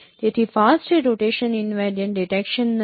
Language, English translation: Gujarati, So fast is not a rotation invariant detection